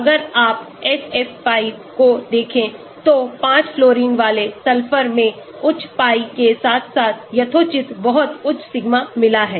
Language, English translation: Hindi, if you look at SF5, sulphur with 5 fluorines it has got high pi as well as reasonably very high sigma